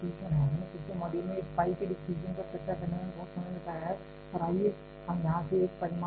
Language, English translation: Hindi, We already spent lots of time in the previous module discussing the distribution of this phi and let us take one result from here